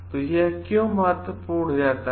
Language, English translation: Hindi, So, why this becomes important